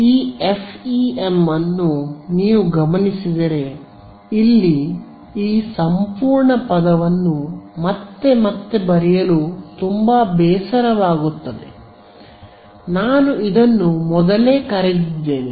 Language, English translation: Kannada, This if you notice this FEM this whole term over here becomes very tedious to write again and again